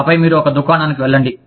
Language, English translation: Telugu, And then, you go to one shop